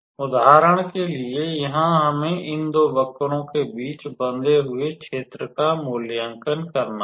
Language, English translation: Hindi, For example, in this case we had to evaluate the area bounded between these two curves